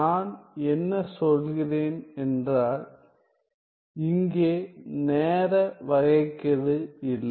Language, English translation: Tamil, What do I mean that there is no time derivative here